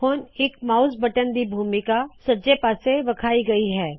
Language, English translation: Punjabi, The role of each mouse button is shown on the top right hand side